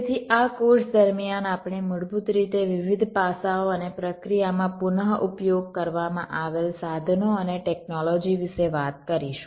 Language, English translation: Gujarati, so during this course we shall basically be talking about the various aspects and the tools and technologies that reused in the process